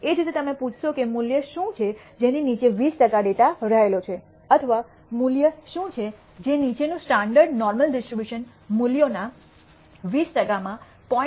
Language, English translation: Gujarati, Similarly you ask what is the value below which 20 percent of the data lies or what is the value below which 20 percent of a standard normal distribution values will have a probability of area under the curve of 0